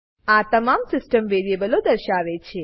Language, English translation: Gujarati, This will display all the system variables